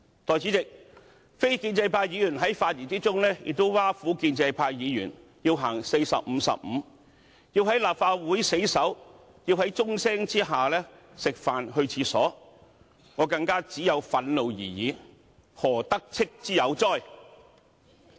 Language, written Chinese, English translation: Cantonese, 代理主席，非建制派議員在發言中亦挖苦建制派議員要實行"逢45分休息15分鐘"的策略，要在立法會死守，要在鐘聲下吃飯和上廁所，我只有憤怒而已，何"得戚"之有哉？, Deputy President non - establishment Members ridiculed pro - establishment Members for adopting the strategy of resting 15 minutes every 45 minutes sitting desperately in the Chamber and having meals or going to the toilet during the ringing of the summoning bell . All I have is indignation how can I have a hint of smug self - satisfaction?